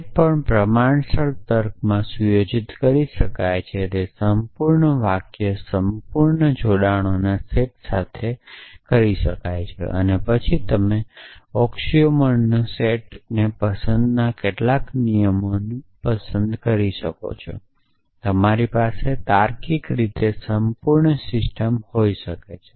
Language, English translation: Gujarati, So, anything that can be set in proportional logic can be set with set of complete sentences complete connectives and then you can choose a set of axioms and a rule some rules of inference and you can have a logically complete system